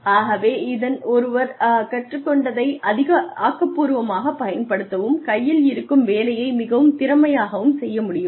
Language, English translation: Tamil, So, one should be able to apply, constructively, what one has learnt, and be able to do the job at hand, more efficiently